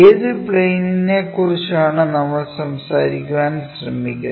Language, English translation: Malayalam, Which plane we are trying to talk about